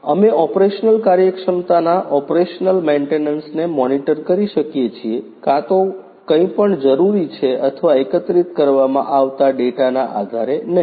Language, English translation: Gujarati, We can monitor the operational efficiency operational maintenance either anything is required or not based on the data that are being collected